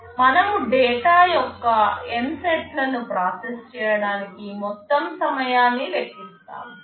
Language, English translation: Telugu, We calculate the total time to process N sets of data